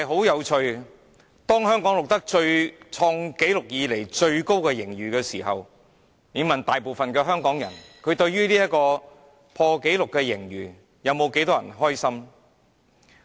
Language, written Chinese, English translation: Cantonese, 有趣的是，當香港錄得有史以來最高盈餘時，有多少香港人對這破紀錄盈餘感到開心呢？, Interestingly when Hong Kong recorded its highest ever surplus how many local people feel happy with this all - time high surplus?